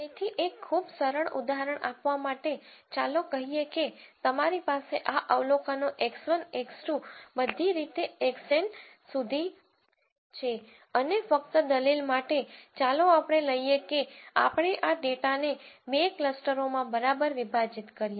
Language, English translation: Gujarati, So, to give a very simple example, let us say you have this observations x 1, x 2 all the way up to x N and just for the sake of argument let us take that we are going to partition this data into two clusters ok